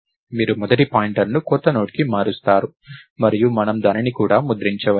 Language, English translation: Telugu, You would just change the first pointer to newNode and maybe we can print it even